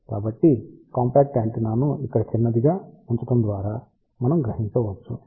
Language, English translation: Telugu, So, we can realize that compact antenna simply by putting shorted over here